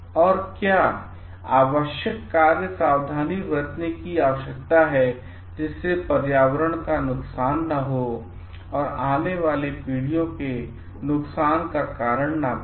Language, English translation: Hindi, And, what are the necessary actions precautions need to be taken, so that this harm is not like done to the environment or damage is not caused to the future generations to come